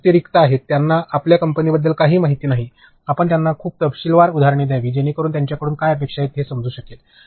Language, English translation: Marathi, But, as opposed to on boarding they are blank, they do not know anything about your company; you have to give them very detailed examples so, that they understand what is expected of them